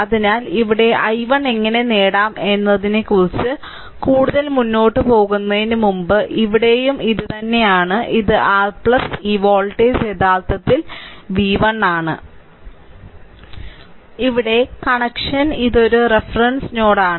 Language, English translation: Malayalam, So, before proceeding further how to obtain i 1 here, here is the same thing here also same thing this is your plus this voltage actually v 1, right, this voltage is v 1; you make it